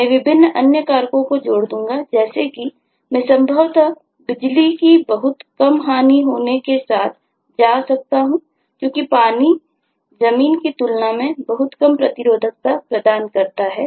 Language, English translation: Hindi, i will add different other factors, like i can possibly go with much less loss of power because water provides far less resistance than land